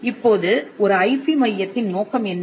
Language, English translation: Tamil, Now, what is the objective of an IP centre